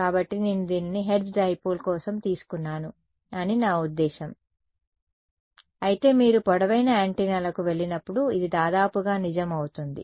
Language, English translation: Telugu, So, I mean I derived this for hertz dipole, but it will also be roughly true as you go to longer antennas